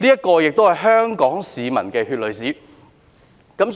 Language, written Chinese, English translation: Cantonese, 這亦都是香港市民的血淚史。, This is also a chapter of blood and tears in history for Hong Kong people